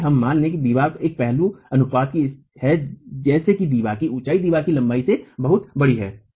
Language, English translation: Hindi, Let us assume the wall is of an aspect ratio such that the height of the wall is much larger than the length of the wall